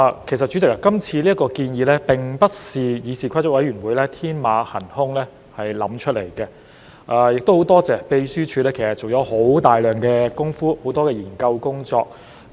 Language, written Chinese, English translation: Cantonese, 代理主席，今次建議其實並非議事規則委員會天馬行空想出來的，亦很多謝立法會秘書處做了大量工夫和很多研究工作。, Deputy President these proposals are not something that the Committee on Rules of Procedure conjured up with blue - sky thinking and I thank the Legislative Council Secretariat for making strenuous efforts and conducting a lot of research